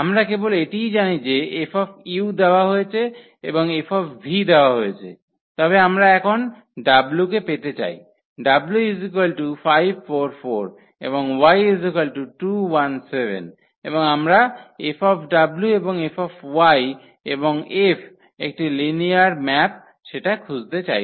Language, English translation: Bengali, We know only that F u is given and F v is given, but we want to find now what will be the F w the w vector is given as 5 4 4 and this y is given as 2 1 7 and we want to find this F w and F y and F is a linear map